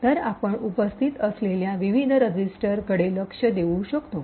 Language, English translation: Marathi, So we can look into the various registers which are present